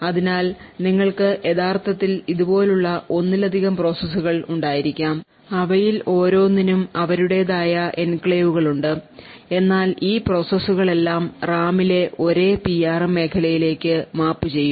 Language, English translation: Malayalam, So, therefore you could actually have multiple processes like this each of them having their own enclaves but all of this processes would mapped to the same region within the Ram that is the PRM region